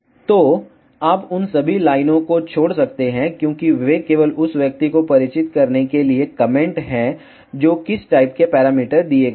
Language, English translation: Hindi, So, you can escape all those lines, because those are just comment to make the person familiar with what type of parameters are given